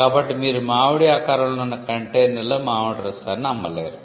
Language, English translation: Telugu, So, you cannot sell mango juice in a mango shaped container